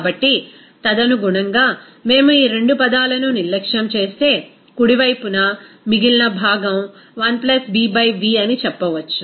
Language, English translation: Telugu, So, accordingly, we can say that if we neglect these two terms of right hand side, so the remaining portion is 1 + B by v